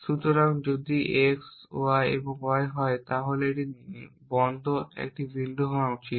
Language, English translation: Bengali, So, if x is on y and y is sorry somebody should a point of this off